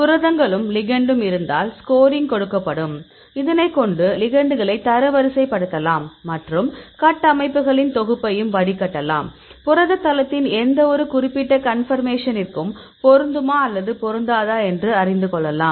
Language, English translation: Tamil, We have the proteins and the ligand this will give you score and this can rank these ligands and also filter a set of structures; whether this can fit or this is not fitting with any particular conformation in the protein site